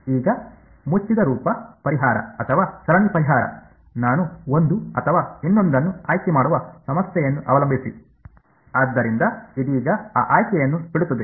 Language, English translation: Kannada, Now, the closed form solution or a series solution, depending on the problem I will choose one or the other; so will leave that choice for now